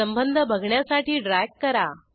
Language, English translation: Marathi, Drag to see the relationship